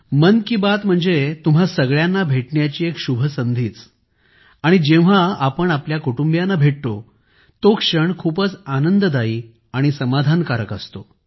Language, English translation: Marathi, 'Mann Ki Baat' means an auspicious opportunity to meet you, and when you meet your family members, it is so pleasing… so satisfying